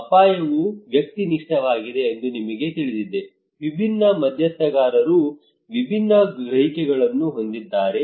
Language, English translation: Kannada, that we know that risk is subjective, different stakeholders have different perceptions